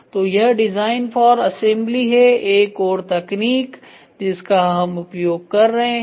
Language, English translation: Hindi, So, this is what is the design for assembly another technique which we are using